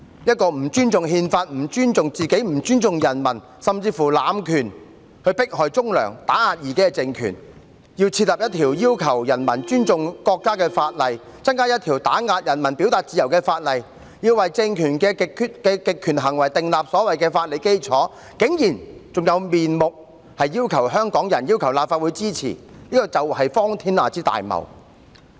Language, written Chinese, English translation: Cantonese, 一個不尊重憲法，不尊重自己，不尊重人民，甚至濫權迫害忠良、打壓異己的政權，要制定一項要求人民尊重國家的法例，增加一項打壓人民表達自由的法例，要為政權的極權行為訂立所謂的法理基礎，竟然還有面目要求香港人和立法會支持，這是荒天下之大謬。, How dare a regime which fails to respect its Constitution itself and its people and even abuses its power to persecute upright persons and suppress dissidents requests Hong Kong people and the Legislative Council to render support for its enactment of a piece of legislation that requires its people to respect the nation introduce an additional law to suppress peoples freedom of expression and establish a so - called legal basis for its authoritarian acts? . How preposterous!